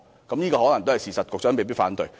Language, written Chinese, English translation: Cantonese, 這可能是事實，局長未必會反對。, This may be true and the Secretary may not refute it